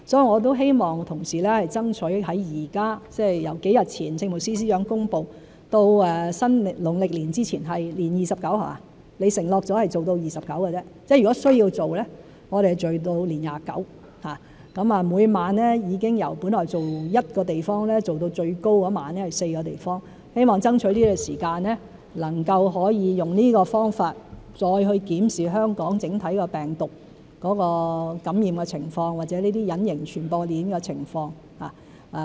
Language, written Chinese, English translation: Cantonese, 我也希望同事爭取，由幾日前政務司司長公布，到農曆年前——承諾做到年廿九，即如果需要做的話，是做到年廿九；每晚已經由本來做一個地方，做到最多那一晚是4個地方——希望爭取時間能夠用這個方法再檢視香港整體病毒的感染情況，或者這些隱形傳播鏈的情況。, I hope colleagues will strive hard . From the announcement made by the Chief Secretary for Administration a few days ago to the time before the Chinese New Year―it has been promised that the operation will continue if necessary till the day before the eve of the Chinese New Year; and the number of operations conducted at one place each night has been increased from one to four at most―hoping to buy time to use this method to examine the overall infection situation or the invisible transmission chain in Hong Kong